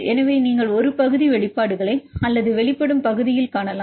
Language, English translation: Tamil, So, you can see a partial exposures or in exposed region